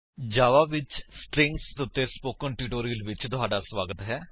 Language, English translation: Punjabi, Welcome to the spoken tutorial on Strings in Java